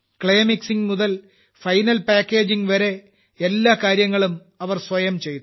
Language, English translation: Malayalam, From Clay Mixing to Final Packaging, they did all the work themselves